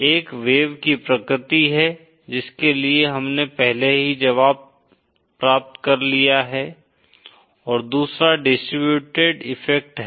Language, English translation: Hindi, One is the wave nature for which we have already obtained the solution and the 2nd is the distributed effects